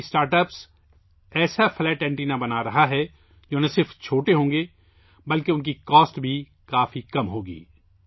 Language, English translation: Urdu, This startup is making such flat antennas which will not only be small, but their cost will also be very low